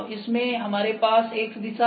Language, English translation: Hindi, In this, we have X direction